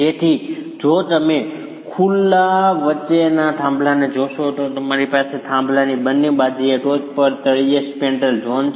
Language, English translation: Gujarati, So if you look at a pier between openings, you have the spandrel zone at the top and the bottom on either sides of the pier